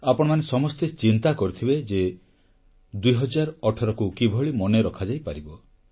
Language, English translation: Odia, You must have wondered how to keep 2018 etched in your memory